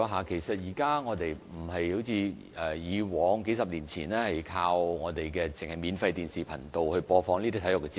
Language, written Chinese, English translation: Cantonese, 現在已不再像以往數十年前般，只單單依靠免費電視頻道播放體育節目。, Unlike the people several decades ago people nowadays no longer depend on free television channels as the only medium of sports programme broadcasting